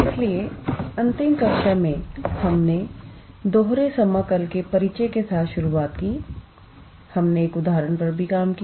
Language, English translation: Hindi, So, in the last class, we started with the introduction of double integral, we also worked out one example